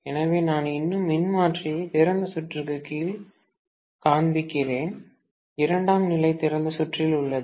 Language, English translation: Tamil, So, I am still showing the transformer under open circuit, the secondary is on open circuit, okay